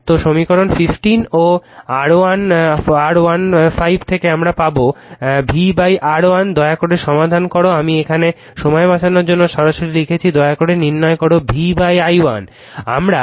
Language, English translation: Bengali, So, from equation 14 and your 15 we get V upon R 1, you please solve this one right I have written directly to save time you please find out what is v upon i 1